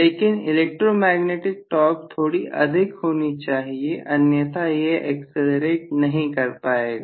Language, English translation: Hindi, But the electromagnetic torque has to be slightly higher than that otherwise I am not going to be able to get an acceleration